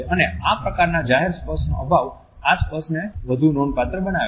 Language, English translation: Gujarati, And the scarcity of public touch makes this touch much more significant whenever it occurs